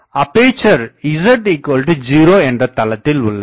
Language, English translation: Tamil, The aperture is in the z is equal to 0 plane